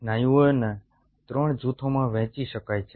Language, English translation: Gujarati, so there are three muscle types